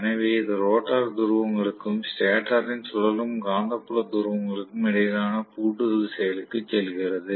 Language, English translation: Tamil, So that it goes back to the locking action between rotor poles and the stator revolving magnetic field poles